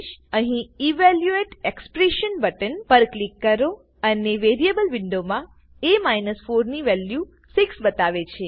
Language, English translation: Gujarati, Click on the Evaluate Expression button here, and in the Variable window, it says a 4 s value is 6